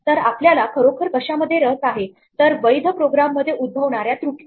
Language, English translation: Marathi, So, what we are really interested in is errors that happen in valid programs